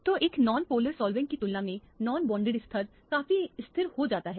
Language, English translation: Hindi, So, they non bonded level gets stabilized considerable in comparison to a non polar solvent